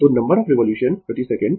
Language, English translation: Hindi, So, number of revolution per second